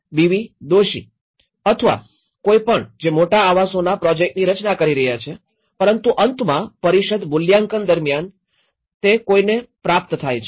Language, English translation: Gujarati, Doshi or anyone who is designing the big housing projects but at the end of the day who is receiving that in the evaluation, in the council